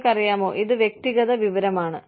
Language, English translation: Malayalam, So again, you know, this is personal information